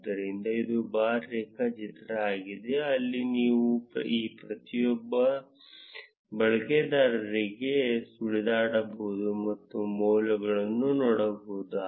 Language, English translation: Kannada, So, this is the bar graph, where you can hover to each of these users and see the values